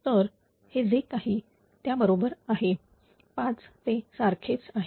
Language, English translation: Marathi, So, same as whatever it is the equivalent one is 5